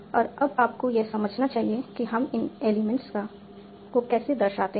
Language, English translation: Hindi, And now you should understand how do we denote these elements